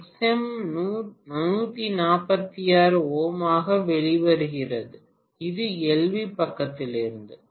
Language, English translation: Tamil, And XM is coming out to be 146 ohm, this is also from LV side, fine